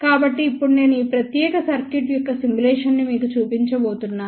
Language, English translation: Telugu, So, now I am going to show you the simulation of this particular circuit